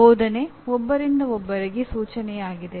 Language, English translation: Kannada, Tutoring is one to one instruction